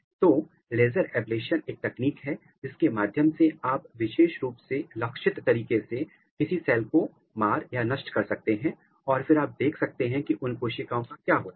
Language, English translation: Hindi, So, laser ablation is a technique through which you can very specifically, targeted way you can kill some cell and then you look what happens to that cells